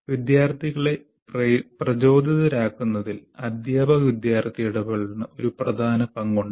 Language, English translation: Malayalam, And the teacher student interaction has a major role to play in keeping the students motivated and so on